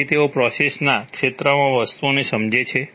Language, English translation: Gujarati, So they understand things in the domain of the process